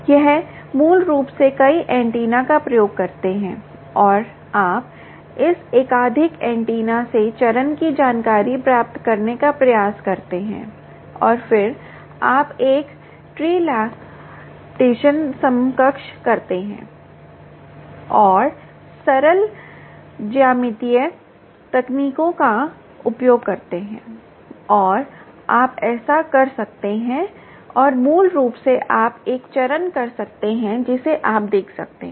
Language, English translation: Hindi, you basically use multiple antenna and you try to get the phase information from this multiple antenna and then you do a trilateration equivalent um and use simple geometrical techniques and you do ah